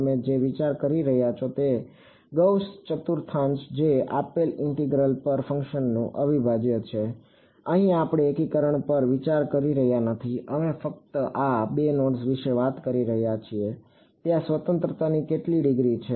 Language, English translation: Gujarati, What you are thinking of is Gauss quadrature which is the integral of a function over the given interval, here we are not considering a integration; we just talking about given these 2 nodes how many degrees of freedom are there